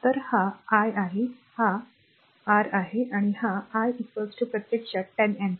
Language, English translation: Marathi, So, this is I, this is your, I right and this I is equal to actually 10 ampere